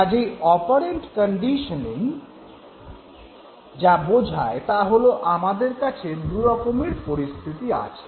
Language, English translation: Bengali, So basically what operant conditioning said was that we have two types of situations